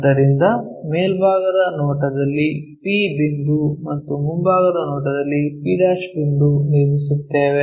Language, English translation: Kannada, So, P point in the top view p' point in the front view, we will draw